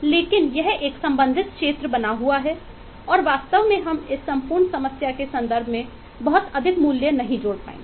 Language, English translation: Hindi, but this remains to be a concerned area and really, eh, we will not be able to add lot of value in terms of this particular aspect of the whole problem